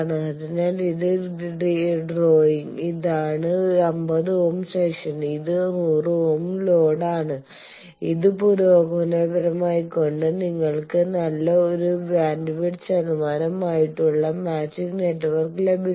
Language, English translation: Malayalam, So, this is the drawing, this is the 50 ohm section, this is the 100 ohm load by you are progressively making it by progressive making you get a good matching network such a good bandwidth percentage wise see it is a very wide band design